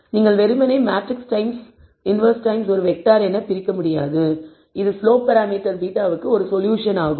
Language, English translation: Tamil, You cannot simply divide it as matrix times inverse times a vector that is a solution for beta which is slope parameters